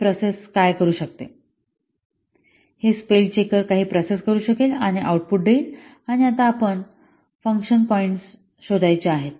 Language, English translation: Marathi, The spell checker can do some processing and give these outputs and now we want to find out the function point